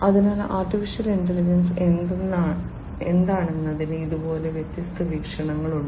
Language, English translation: Malayalam, So, like this there are different viewpoints of what AI is